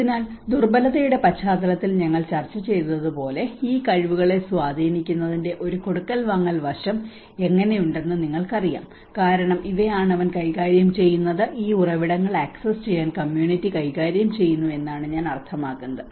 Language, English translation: Malayalam, So then as we discussed in the vulnerability context, how it also have a give and take aspect of this influencing these abilities you know because these are the how he manages, I mean the community manages to access these resources